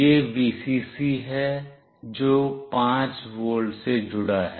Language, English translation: Hindi, This is the Vcc, which is connected to 5 volt